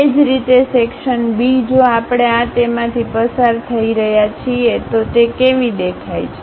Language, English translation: Gujarati, Similarly, section B if we are having it through this, how it looks like